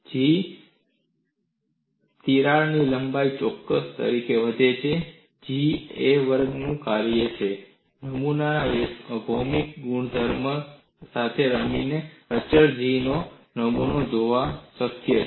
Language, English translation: Gujarati, G increases as square of crack length; G is a function of a square; by playing with the geometric properties of the specimen, it is possible to have a specimen of constant G